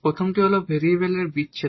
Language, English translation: Bengali, The first one is the separation of variables